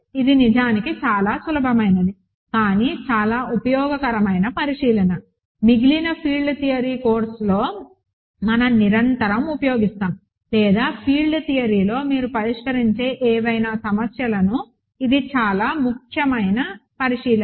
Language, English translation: Telugu, This is actually very simple, but very useful observation that constantly we use in rest of the field theory course or any problems that you solve in field theory it is a very important observation, ok